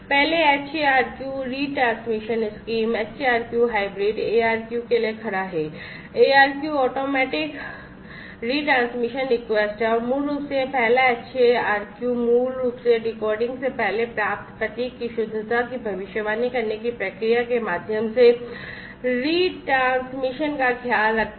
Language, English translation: Hindi, First HARQ retransmission scheme, HARQ stands for hybrid ARQ, ARQ is automatic retransmission request and basically this first HARQ is basically takes care of the retransmission through the procedure of predicting the correctness of the received symbol, before actually decode decoding it